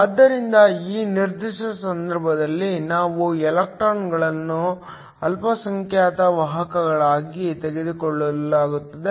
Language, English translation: Kannada, So, in this particular case, we are going to take electrons to be the minority carriers